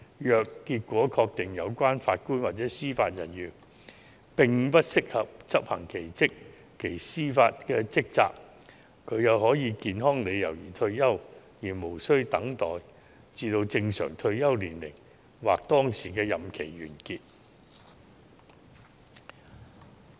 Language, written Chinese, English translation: Cantonese, 如果確定有關法官或司法人員不適合執行其司法職責，他可以因健康理由而退休，無須等待至正常退休年齡或當時的任期完結。, If the JJO is confirmed to be unfit for performing hisher judicial duties heshe may retire on medical grounds without having to reach the normal retirement age or the completion of the prevailing term